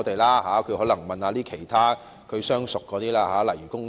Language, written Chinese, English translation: Cantonese, 他可能要問問其他相熟的政黨，例如工黨。, He might have to ask some of his friendly political parties such as the Labour Party